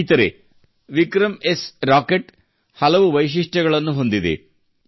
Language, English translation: Kannada, Friends, 'VikramS' Rocket is equipped with many features